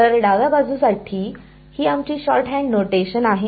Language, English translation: Marathi, So, this is our shorthand notation for the left hand side